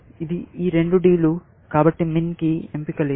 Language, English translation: Telugu, This is, both these are Ds; so, min does not have a choice